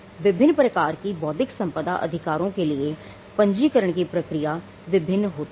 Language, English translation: Hindi, The registration process also varies when it comes to different types of intellectual property rights